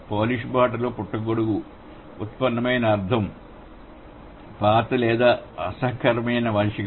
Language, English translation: Telugu, So, mushroom in Polish, the derived meaning has become old or unpleasant man, right